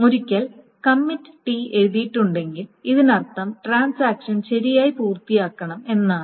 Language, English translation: Malayalam, So once the committee has been written, that means that the transaction is supposed to finish correctly